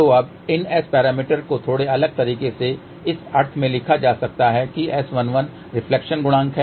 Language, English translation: Hindi, So, now, these S parameters can be written in a slightly different way in a sense that S 11 is reflection coefficient